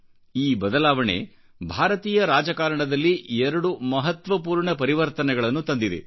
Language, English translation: Kannada, This change brought about two important changes in India's politics